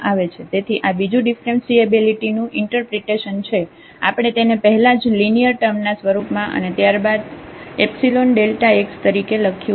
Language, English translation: Gujarati, So, this is another interpretation of the differentiability we have written earlier in terms of that linear expression and then epsilon delta x